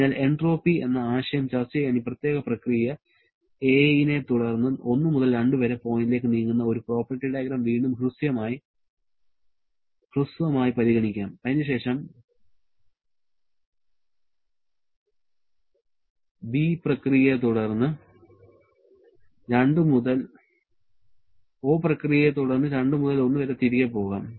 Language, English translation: Malayalam, So, to discuss the concept of entropy, let us briefly consider again a property diagram where we move from a point 1 to 2 following this particular process a and then we go back from 2 to 1 following the process b